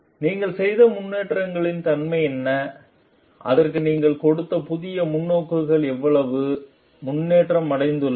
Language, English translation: Tamil, And what are the nature of developments that you have made and how much improvement you have made what new like perspectives that you have given to it